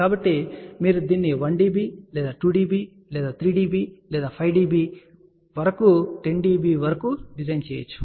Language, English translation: Telugu, So, you can design it for 1 dB or 2 dB or 3 dB or 5 dB up to 10 dB